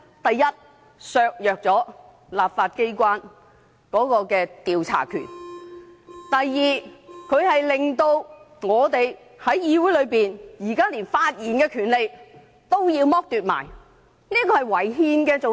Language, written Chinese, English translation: Cantonese, 第一，會削弱立法機關的調查權；第二，令議員在議會內的發言權也被剝奪，這是違憲的。, Firstly the investigation power of the legislature will be undermined; secondly the power enjoyed by Members to speak in this Council will also be deprived and this is unconstitutional